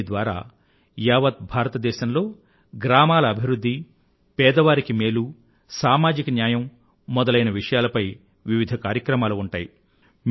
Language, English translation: Telugu, Under the aegis of this campaign, separate programmes on village development, poverty amelioration and social justice will be held throughout India